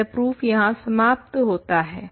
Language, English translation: Hindi, So, the proof is complete